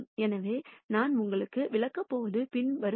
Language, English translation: Tamil, So, what I am going to explain to you is the following